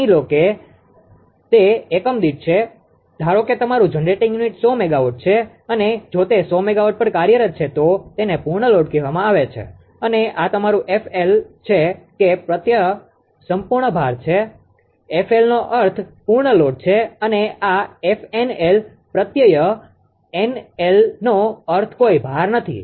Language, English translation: Gujarati, Suppose suppose it is one per unit suppose your generating unit is 100 megawatt and if it is operating at 100 megawatt it is called full load and this is your f FL that suffix is full load FL means full load and this f NL, f NL the suffix NL means no load and this is nominal frequency